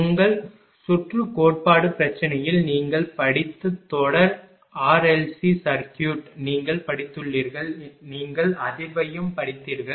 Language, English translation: Tamil, In your circuit theory problem that series r l c circuit you have studied you have studied you have studied also the resonance